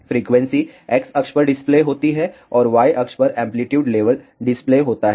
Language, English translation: Hindi, The frequency is displayed on the X axis and amplitude level is displayed on the Y axis